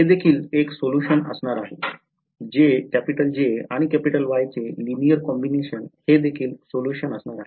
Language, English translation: Marathi, They will also be solutions right linear combinations of J and Y will also be solutions, so that is the second type